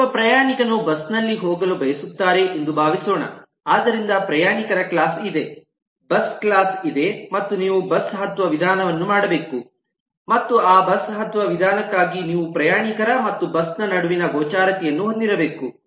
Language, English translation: Kannada, suppose a passenger intends to board a bus, so there is a passenger class, there is a bus class and you need to place the board method and for that board method you need to have the visibility between passenger and bus